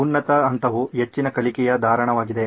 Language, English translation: Kannada, So, the high point is high learning retention